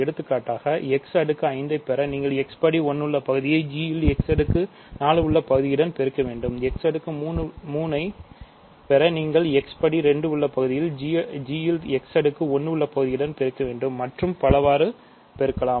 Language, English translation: Tamil, For example, to get x power 5 you can multiply x term in f x power 4 term in g, x squared term in f x cubed term in g, x cubed term in f x square term in g and so on